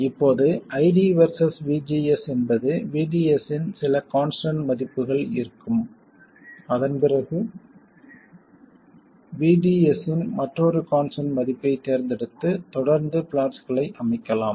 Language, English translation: Tamil, Now, ID versus VGS will be with some constant value of VDS and then you can choose another constant value of VDS and then keep plotting